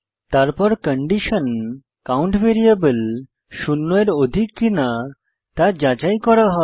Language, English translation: Bengali, Then the condition whether the variable count is greater than zero, is checked